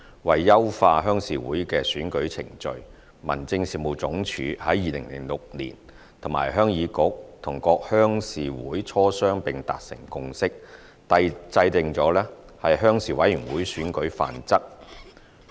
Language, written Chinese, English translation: Cantonese, 為優化鄉事會的選舉程序，民政事務總署在2006年與鄉議局及各鄉事會磋商並達成共識，制訂了《鄉事委員會選舉範則》。, In order to enhance the election proceedings of RCs the Home Affairs Department HAD reached a consensus with HYK and RCs in 2006 after discussion and drew up the Model Rules for Rural Committee Elections